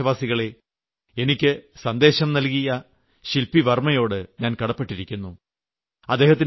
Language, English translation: Malayalam, My dear countrymen, I have received a message from Shilpi Varma, to whom I am grateful